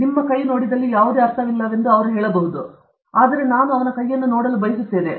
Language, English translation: Kannada, That fellow says there is no point in seeing your hand; please bring your guide; I want to see his hand